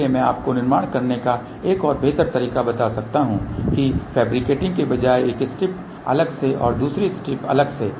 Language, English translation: Hindi, So, I can tell you a better way to do the fabrication is that instead of fabricating then one strip separately and the another strip separately